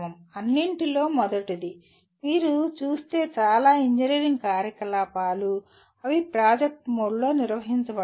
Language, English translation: Telugu, First of all, most of the engineering activities if you look at, they are conducted in a project mode